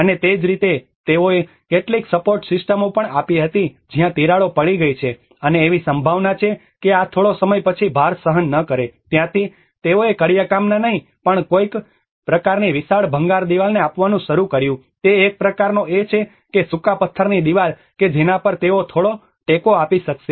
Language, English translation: Gujarati, \ \ \ And similarly, they also given some support systems where there has been cracks and there is a possibility that this may not bear the load after some time that is where they started giving some kind of huge rubble masonry wall, not masonry, it is a kind of dry stone wall which they have able to give a little support on that